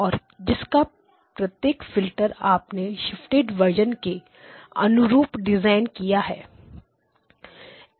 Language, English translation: Hindi, You have designed each of the filters as shifted versions